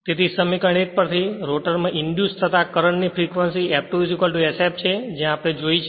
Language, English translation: Gujarati, So, from equation 1; the frequency of the current induced the rotor is same as F2 is equal to sf this we have seen right